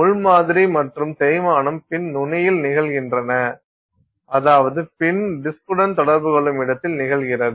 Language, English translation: Tamil, The pin is the sample and the wear is occurring at the tip of the pin, the where the pin comes in contact with the disk